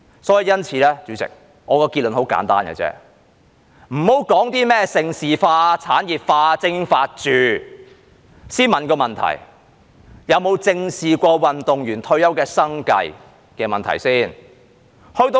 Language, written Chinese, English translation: Cantonese, 主席，我的結論很簡單，先不要說甚麼盛事化、產業化、精英化，先問一個問題：有否正視過運動員退休的生計問題？, President my conclusion is very simple . Let us not talk about developing Hong Kong into a centre for major international sports events promoting industrialization of sports and supporting elite sports . Let us ask a question first Has the livelihood of retired athletes been addressed squarely?